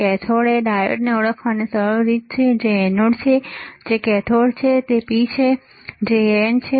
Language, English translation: Gujarati, There is a cathode is easy way of identifying diode which is anode, which is cathode which is P which is N